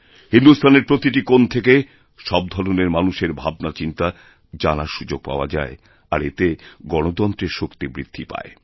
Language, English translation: Bengali, I get an opportunity to know and understand views of different people from all corners of the country and this actually adds to the strength of our democracy